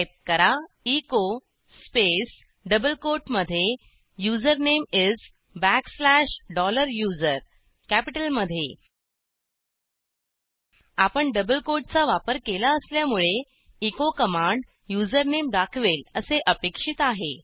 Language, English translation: Marathi, Now Type echo space within double quote Username is backslash dollar USER Since we have given double quotes, we expect the echo command to display the username